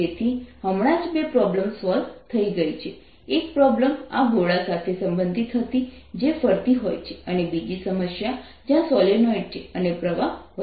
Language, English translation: Gujarati, one of the problems was related to this sphere which is rotating, and the other problem where there's a solenoid and the current is increasing